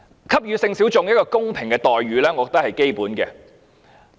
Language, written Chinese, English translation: Cantonese, 給予性小眾一個公平的待遇，我認為是基本的。, I believe that giving fair treatment to sexual minorities is fundamental